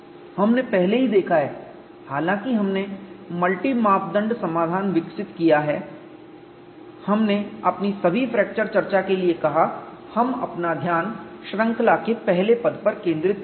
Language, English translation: Hindi, We have already seen, though we have developed the multi parameter solution, we set for all our fracture discussion; we would confine our attention to the first term in the series